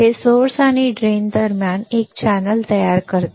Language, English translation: Marathi, This forms a channel between source and drain